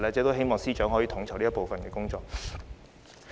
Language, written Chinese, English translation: Cantonese, 我希望司長能夠統籌這部分的工作。, I hope that the Chief Secretary can coordinate this area of work